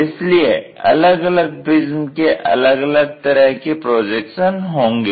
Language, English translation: Hindi, This is the way a prism we will have projections